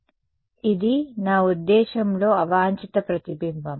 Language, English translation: Telugu, So, this is a I mean unwanted reflection